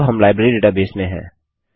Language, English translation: Hindi, And open our Library database